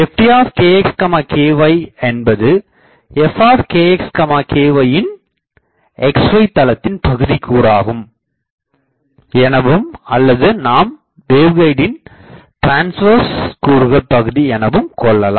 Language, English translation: Tamil, ft kx ky is the xy plane component of f kx ky or in, waveguide we will call it transverse component